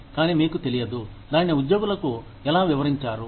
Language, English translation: Telugu, But, you do not know, how to explain it, to employees